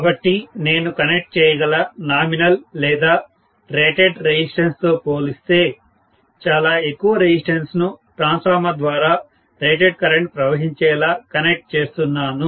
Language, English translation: Telugu, So, I am going to look at a resistance which is way too high as compared to the nominal or rated resistance that I may connect, such that the rated current flows through the transformer